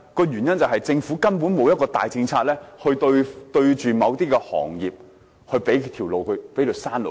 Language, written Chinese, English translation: Cantonese, 原因是政府根本沒有一個大政策對應某些行業，給他們一條生路。, Why? . It is because the Government simply does not have policies in place to cope with some industries and offers them a way out